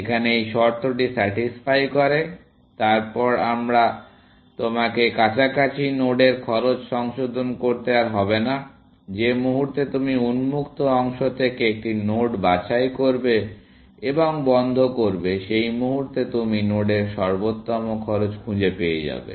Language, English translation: Bengali, In addition of this condition is satisfied, then you do not have to keep revising cost to the nodes in close; the moment you pick a node from open and put in close, at that moment, you found the optimal cost to the node